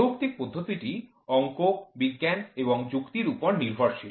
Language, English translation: Bengali, Rational is based on science and Maths and logic